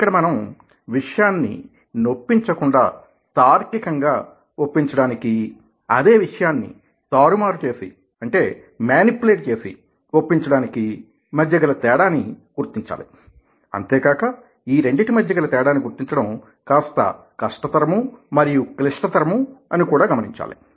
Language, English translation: Telugu, here we need to note the difference between persuasion and manipulation and also need to know the fact that differentiating between the two is fairly difficult and complicated